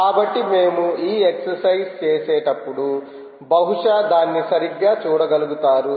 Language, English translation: Telugu, so when we do these exercises will perhaps be able to have a look at it right